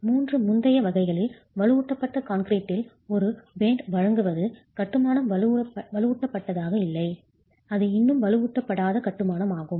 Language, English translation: Tamil, In the three previous categories, the provision of a band in reinforced concrete does not make the masonry reinforce, it's still unreinforced masonry